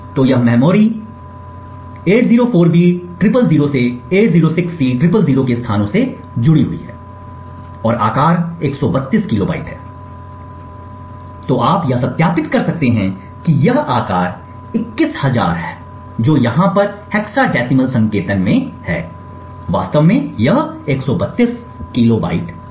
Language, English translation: Hindi, So, this memory has got attached to the locations 804b000 to 806c000 and the size is 132 kilobytes, so you can verify that this size 21000 which is in hexadecimal notation over here is in fact 132 kilobytes